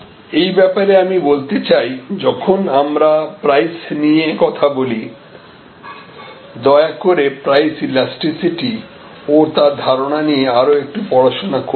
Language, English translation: Bengali, In this respect, I would like to talk about when we talk about price, please do read about a little bit more in detail about the elasticity, price elasticity, the concept of price elasticity